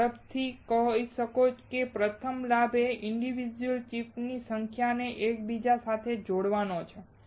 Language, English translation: Gujarati, You can quickly say; first advantage is interconnecting number of individual chips